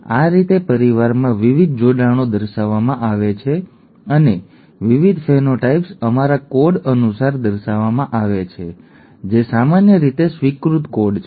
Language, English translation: Gujarati, This is the way the various linkages in the family are shown and the various phenotypes are shown according to our code, the generally accepted code